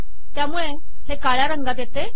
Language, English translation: Marathi, As a result, it just comes in black